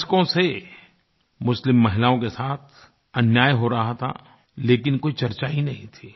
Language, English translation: Hindi, For decades, injustice was being rendered to Muslim women but there was no discussion on it